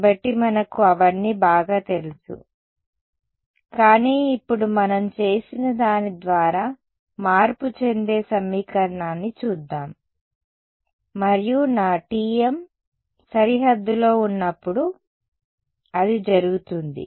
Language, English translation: Telugu, So, we are familiar with all of that, but now let us look at that equation which will get altered by what we have done and that will happen when my T m is on the boundary ok